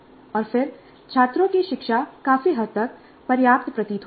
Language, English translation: Hindi, And then the learning of the students seems to be fairly substantial